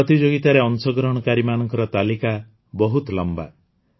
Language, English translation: Odia, The list of such entries that entered the competition is very long